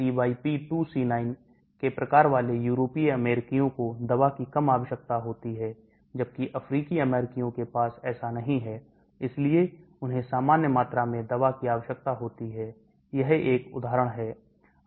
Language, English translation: Hindi, European Americans with the variant of CYP2C9 require less of the drug whereas African Americans do not have that so do not, they require normal amount of drug, that is an example